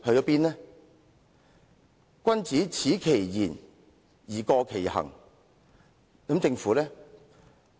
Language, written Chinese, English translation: Cantonese, 所謂君子耻其言而過其行，政府又如何呢？, As the saying goes The superior man is modest in his speech but exceeds in his actions . How about the Government?